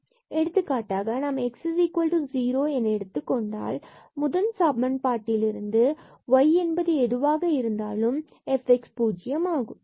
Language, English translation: Tamil, So, from this first equation if we take x is equal to 0 irrespective of y there this f x will be 0